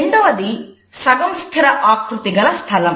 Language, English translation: Telugu, The second is the semi fixed feature space